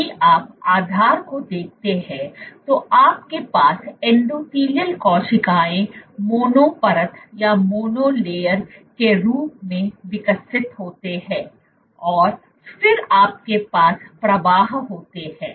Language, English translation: Hindi, If you look at the base you have endothelial cells are grown as a mono layer and then you have flow